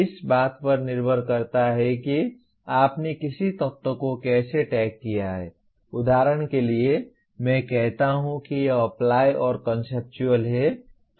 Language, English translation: Hindi, Depending on how you tagged an element, for example I say it is Apply and Conceptual